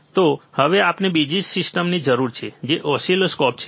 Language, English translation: Gujarati, So now, we need another system which is oscilloscopes